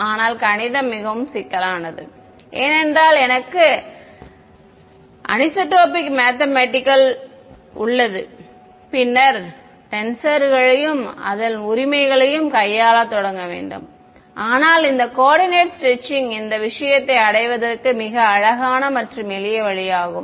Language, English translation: Tamil, But the math becomes more complicated because the moment I have anisotropic medium then I have to start dealing with tensors and all of that right, but this coordinates stretching is a very beautiful and simple way of arriving at this thing ok